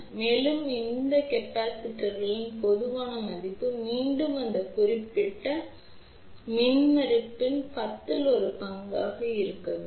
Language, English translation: Tamil, And, the typical value of these capacitances again should be at least 1 10th of this particular impedance here